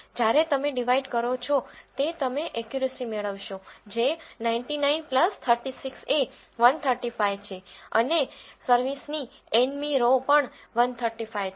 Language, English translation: Gujarati, When you divide that you will get the accuracy as 99 plus 36 is 135, and the n row of service is also 135